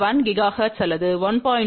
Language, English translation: Tamil, 1 gigahertz or 1